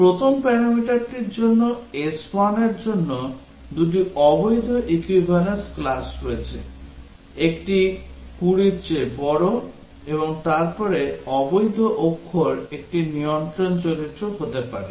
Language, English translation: Bengali, For the first parameter s1, there are two invalid equivalence classes; one is greater than 20 and then invalid character may be a control character